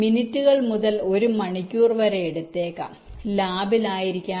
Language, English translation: Malayalam, it can take minutes to an hour may be in the lab